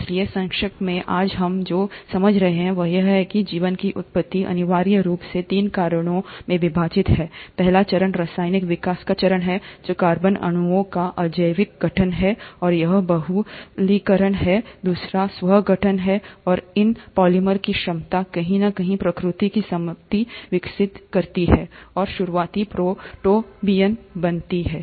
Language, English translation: Hindi, So, to summarize, what we understand today, is that the origin of life essentially is divided into three stages; the first stage is the stage of chemical evolution, which is abiotic formation of organic molecules and it's polymerization; the second is the self organization, and the ability of these polymers to somewhere develop the property of replication and formed the early protobionts